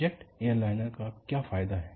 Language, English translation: Hindi, And what is advantage of a jet airliner